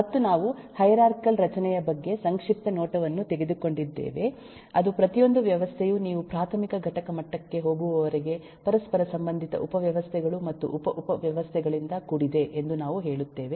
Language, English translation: Kannada, and, uh, we have also taken a brief look into hierarchic structure, that is, we say that, eh, every system is eh composed of interrelated subsystems and sub sub systems, till you go to an elementary component level